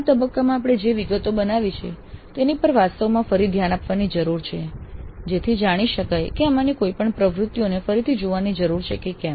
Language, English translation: Gujarati, The documents that we have created in this phase also need to be really looked at again to see if any of these activities need to be revisited